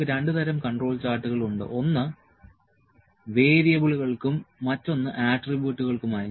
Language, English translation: Malayalam, We have two kinds of control charts for variables and for attributes